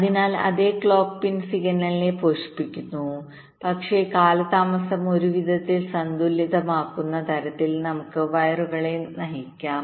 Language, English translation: Malayalam, so the same clock pin is feeding the signal, but let us route the wires in such a way that the delays are getting balanced in some way